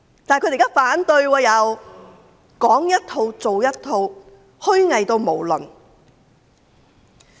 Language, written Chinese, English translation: Cantonese, 現在卻反對預算案，說一套做一套，極度虛偽。, But now they oppose the Budget . Saying one thing and doing another they are extremely hypocritical